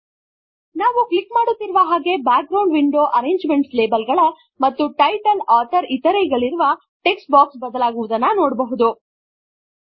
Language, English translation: Kannada, As we click through, we see the background window, changing, in the arrangement of labels and text boxes saying title, author etc